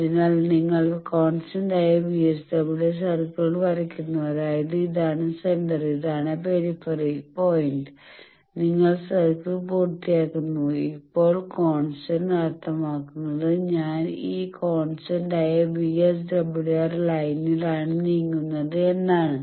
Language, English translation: Malayalam, So, you draw constant VSWR circle that means this is the center, this is the peripheral point, you complete the circle, and now movement means I am moving on this constant VSWR line